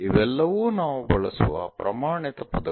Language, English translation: Kannada, This is the standard words what we use